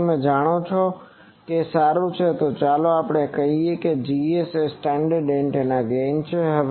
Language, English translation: Gujarati, So, you know it is gain well let us call that Gs is the standard antennas gain